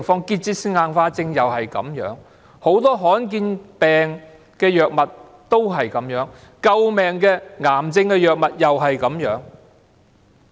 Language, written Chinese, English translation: Cantonese, 結節性硬化症也是這樣，很多罕見疾病的藥物也是這樣。救命的癌症藥物也是這樣。, The same thing also happens in the prescription of drugs for managing tuberous sclerosis complex and many other rare diseases as well as life - saving cancer drugs